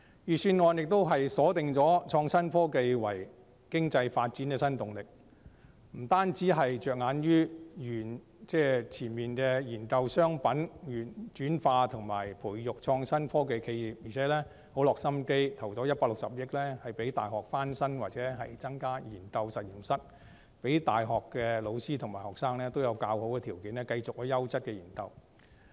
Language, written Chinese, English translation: Cantonese, 預算案亦鎖定創新科技為經濟發展的新動力，不單着眼於研究商品轉化及培育創作科技企業，並且很有心思地撥款165億元讓大學翻新或增加研究實驗室，讓大學的教師和學生有較好的條件繼續進行優質的研究。, The Budget has also pinpointed innovation and technology as a new driving force for economic development . It does not just focus on commercializing research and development results and nurturing innovative technology enterprises but also thoughtfully allocates 16.5 billion to refurbish universities or provide additional research laboratories with a view to creating better conditions for university teachers and students to pursue high - quality research . These are real efforts to build up infrastructure rather than fish for compliments